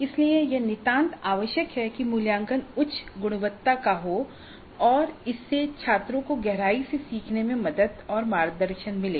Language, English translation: Hindi, So it is absolutely essential that the assessment is of high quality and it should help the students learn deeply and it should guide the students into learning deeply